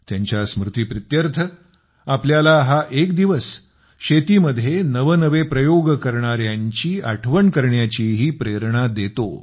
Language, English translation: Marathi, In his memory, this day also teaches us about those who attempt new experiments in agriculture